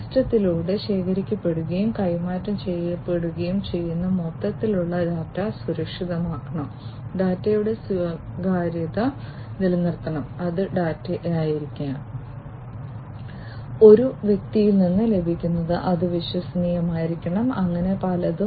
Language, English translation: Malayalam, The overall the data that is collected and is transmitted through the system it has to be secured, the privacy of the data has to be maintained, it has to be the data that is received from one person, it has to be trustworthy and so on